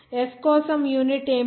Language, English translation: Telugu, What is the unit for s